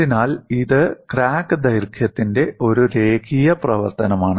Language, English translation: Malayalam, So, it is a linear function of crack length